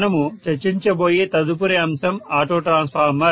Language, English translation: Telugu, So the next topic we are going to discuss is auto transformer, okay